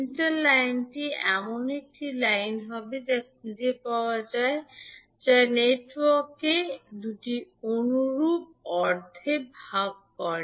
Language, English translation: Bengali, Center line would be a line that can be found that divides the network into two similar halves